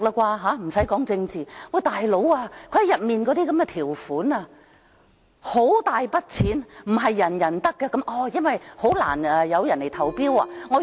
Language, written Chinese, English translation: Cantonese, "大佬"，當中的條款涉及很大筆的金錢，不是人人可享用，因為很難會有人來投標。, But my goodness one of the provisions of the project involves a large sum of money . The money is not for us . It is for tenderers who submit bids for the project because it will be rather difficult to attract bids